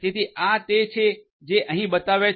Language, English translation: Gujarati, So, these are the ones that are shown over here